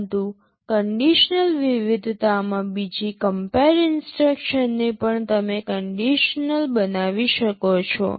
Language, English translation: Gujarati, But in the conditional variety, the second compare instruction also you can make conditional